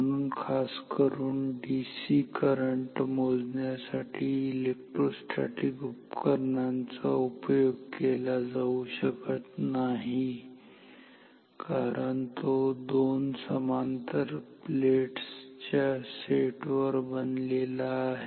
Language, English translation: Marathi, So, particularly electrostatic instruments cannot be used for a say DC current measurement directly as it is, because it is made up of ups set of two parallel plate plates